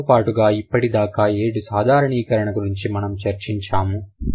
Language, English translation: Telugu, Besides that, we also talked about seven different generalizations that we have identified so far